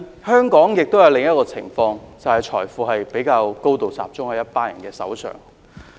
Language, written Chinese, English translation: Cantonese, 香港亦出現另一種情況，便是財富高度集中在一群人手上。, Another phenomenon in Hong Kong is that wealth is highly concentrated in a group of people